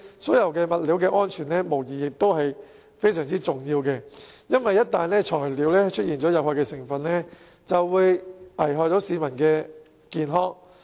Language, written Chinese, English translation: Cantonese, 水管物料的安全無疑是相當重要的，因為一旦材料出現有害成分，便會危害市民健康。, The safety of plumbing materials is undoubtedly very important . The reason is that the use of harmful materials is hazardous to peoples health